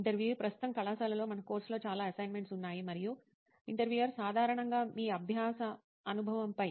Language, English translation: Telugu, Right now in college like we have a lot of assignments in the course and… Generally over your learning experience